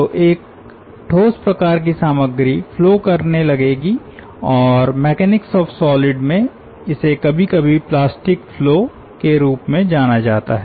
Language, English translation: Hindi, so a solid ah type of material will start flowing, and in in mechanics of solids it is sometimes known as plastic flow